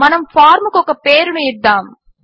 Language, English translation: Telugu, Let us now give a name to our form